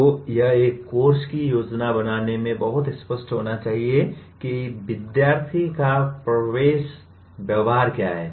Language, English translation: Hindi, So it should be very clear in planning for a course what are the entering behavior of the students